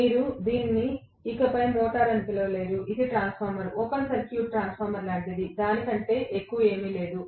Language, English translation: Telugu, You cannot call it a motor anymore; it is like a transformer, open circuited transformer, nothing more than that